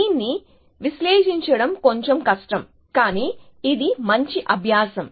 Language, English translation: Telugu, So, this a little bit more difficult to analyze, but it is a good exercise